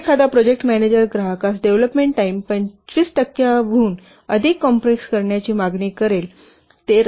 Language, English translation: Marathi, If a project manager accepts a customer demand to compress the development time by more than 25%